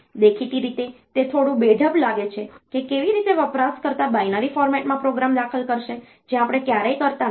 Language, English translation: Gujarati, Apparently, it seems a bit awkward like how the user will enter the program in a binary format we never do that